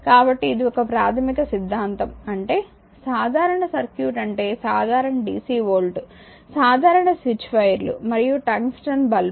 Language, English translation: Telugu, So, this is a basic philosophy you have your what you call that is simple circuit is simple dc volt a simple switch wires and your tungsten lamp